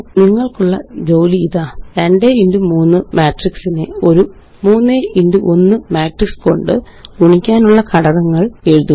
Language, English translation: Malayalam, Here is an assignment for you: Write steps for multiplying a 2x3 matrix by a 3x1 matrix